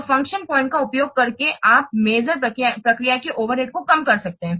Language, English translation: Hindi, So by using function point, you can minimize the overhead of the measurement process